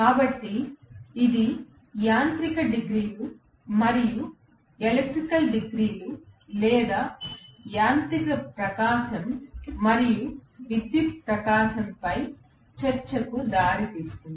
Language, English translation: Telugu, So, this leads us to the discussion, on mechanical degrees and electrical degrees or mechanical radiance and electrical radiance